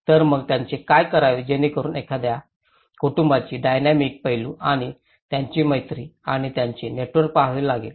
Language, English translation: Marathi, So, what to do with it so that is where one has to look at the dynamic aspect of the family and his friendship and the network of it